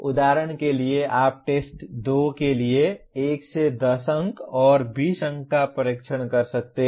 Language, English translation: Hindi, For example you can have test 1 10 marks and 20 marks for test 2